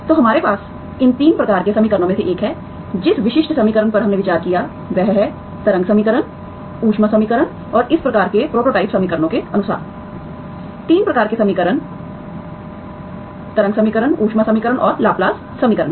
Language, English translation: Hindi, So one of these 3 rights of equations we have, the typical equation that we have considered are wave equation, heat equation and as in the prototype equation for this type, 3 types of equations are wave equation, heat equation and Laplace equation